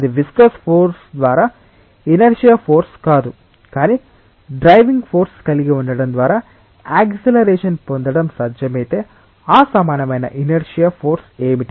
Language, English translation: Telugu, That not the inertia force by viscous force, but if it was possible to have an acceleration by having a driving force, what would have been that equivalent inertia force